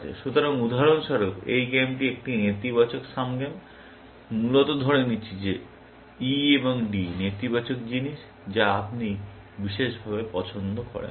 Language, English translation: Bengali, So, for example, this game is a negative sum game, essentially, assuming that E and D are negative things, which you do not particularly, like